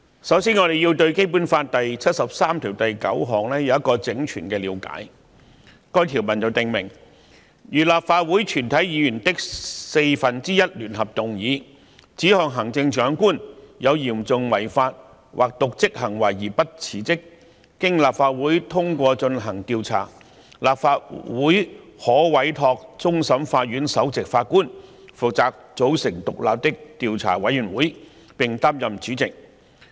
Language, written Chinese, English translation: Cantonese, 首先，我們必須對《基本法》第七十三條第九項有全面的了解，該項條文訂明："如立法會全體議員的四分之一聯合動議，指控行政長官有嚴重違法或瀆職行為而不辭職，經立法會通過進行調查，立法會可委托終審法院首席法官負責組成獨立的調查委員會，並擔任主席。, First we must have a full understanding of Article 739 of the Basic Law . This article stipulates that If a motion initiated jointly by one - fourth of all the members of the Legislative Council charges the Chief Executive with serious breach of law or dereliction of duty and if he or she refuses to resign the Council may after passing a motion for investigation give a mandate to the Chief Justice of the Court of Final Appeal to form and chair an independent investigation committee